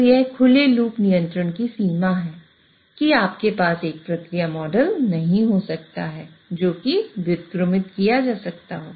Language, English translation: Hindi, So that is a limitation of open loop control that you may not have a process model which is invertible